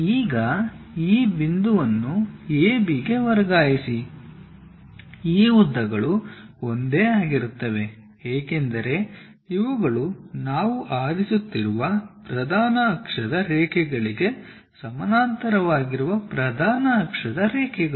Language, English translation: Kannada, Now transfer this point A B to A B these lengths are one and the same, because these are the principal axis lines parallel to principal axis lines we are picking